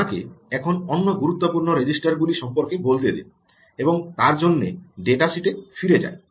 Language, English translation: Bengali, let me now also point you to other important registers gone back to the datasheet